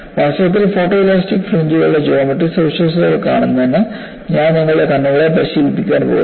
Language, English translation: Malayalam, In fact, I am going to train your eyes for looking at geometric features of photo elastic fringes